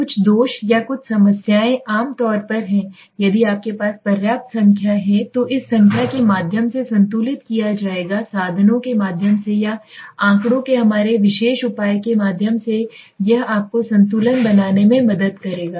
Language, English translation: Hindi, Some of the defects or some of the problems are generally balanced out through this number if you have a sufficient number this will be balance out through the means or through our particular measure of statistics it will help you balance out okay